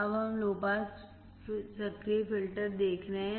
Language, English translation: Hindi, Now, we are looking at low pass active filter